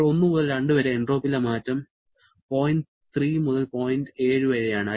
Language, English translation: Malayalam, Now, during 1 to 2, the change in entropy is from point 3 to point 7